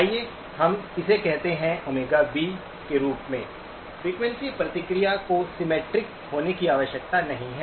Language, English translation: Hindi, Let us call that as Omega B, the frequency response does not need to be symmetric